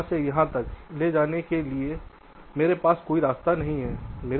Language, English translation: Hindi, i do not have any path to to take from here to here